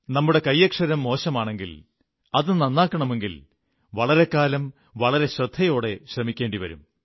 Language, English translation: Malayalam, If we have bad handwriting, and we want to improve it, we have to consciously practice for a long time